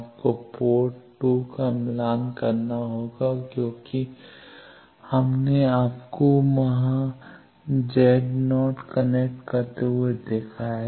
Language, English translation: Hindi, You will have to match terminate port 2 port 2 match terminated as we have seen you connect Z 0 here